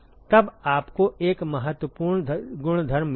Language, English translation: Hindi, Then you have got an important property